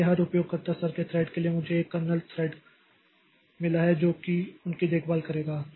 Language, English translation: Hindi, So, for every user level thread I have got a kernel level thread which will be taking care of that